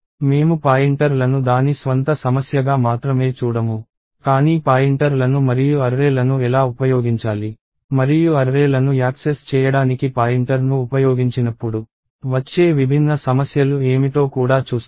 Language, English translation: Telugu, We will not only see pointers as a problem of it is own, but we will also see, how to use pointers and access arrays and what are the different issues that come up, when we use pointer to access arrays